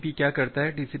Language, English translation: Hindi, So, what TCP does